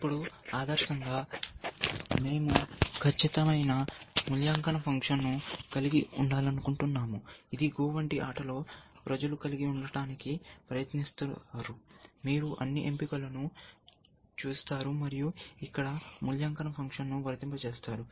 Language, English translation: Telugu, Now, ideally we would like to have a perfect evaluation function, which in a game like GO people have try to do, is that you look at all the choices, and apply the evaluation function here